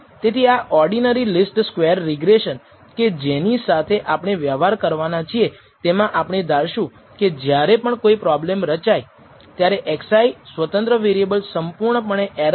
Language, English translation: Gujarati, So, in this particular ordinary least squares regression that we are going to deal with we will assume whenever we set up the problem x i the independent variable is assumed to be completely error free